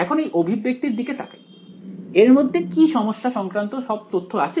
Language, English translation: Bengali, Now looking at this expression does it have again does it have all the information about the problem inside it